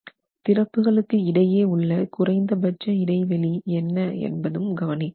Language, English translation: Tamil, And also what should be the minimum distances between, what should be the minimum distances between openings